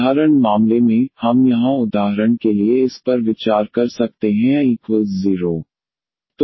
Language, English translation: Hindi, In simple case, what we can consider here for instants this a 0